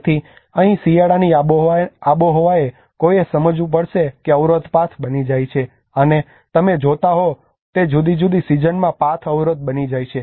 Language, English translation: Gujarati, So here the winter climates one has to understand a barrier becomes path, and a path becomes a barrier in a different season you see